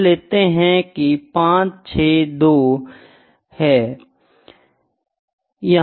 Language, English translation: Hindi, Let me say this is 5 6 2